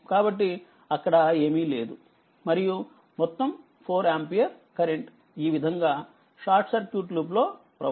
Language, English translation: Telugu, So, nothing there is nothing able here and all this 4 ampere will be flowing like this it will be in a short circuit loop right